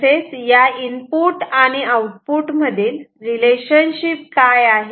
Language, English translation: Marathi, So, what is the relationship between the input and output ok